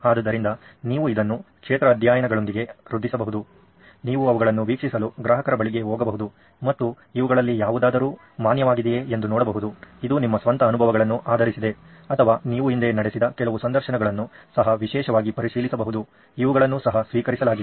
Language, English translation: Kannada, So you can also augment this with field studies, you can go to customers observe them and actually see if any of this is valid, this is based on your own experiences or some of the interviews that you had in the past can also go particularly check for these as well that is also accepted